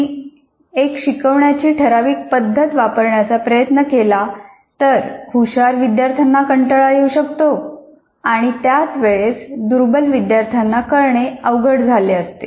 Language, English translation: Marathi, Because if you try to take one particular way of instructing, better students may get bored, weak students may not be able to catch them